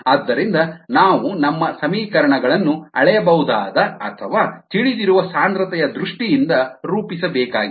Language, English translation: Kannada, so we need to formulate our equations in terms of measurable or knowable concentrations